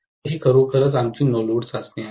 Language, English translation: Marathi, So, this is actually our no load test, right